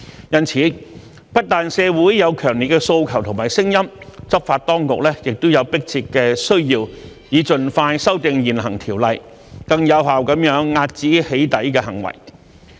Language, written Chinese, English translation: Cantonese, 因此，不但社會有強烈的訴求和聲音，執法當局也有迫切的需要，以盡快修訂現行條例，更有效地遏止"起底"行為。, Therefore it is not just a strong demand from the community but also a pressing need of the law enforcement authorities that the existing ordinance should be amended expeditiously to curb doxxing acts in a more effective manner